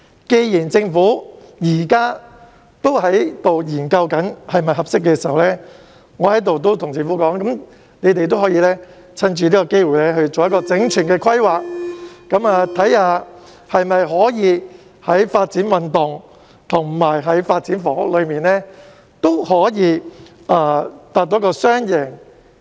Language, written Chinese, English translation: Cantonese, 既然政府現時正在研究是否適合發展，我在這裏建議政府藉此機會進行整全的規劃，研究是否可以在發展運動及發展房屋兩方面達致雙贏。, Since the Government is now studying whether the area is suitable for development I would like to suggest that it takes this opportunity to make comprehensive planning and study whether a win - win situation can be achieved for both sports development and housing development